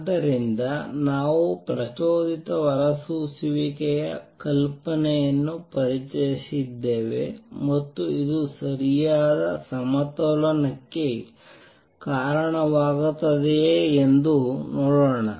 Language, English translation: Kannada, So, we have introduced the idea of stimulated emission and let us see if this leads to proper equilibrium